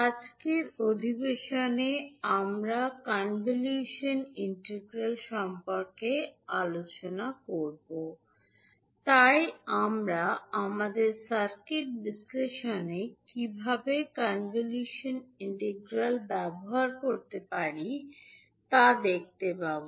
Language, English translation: Bengali, Namashkar, so in today’s session we will discuss about convolution integral, so we will see how we can utilise convolution integral in our circuit analysis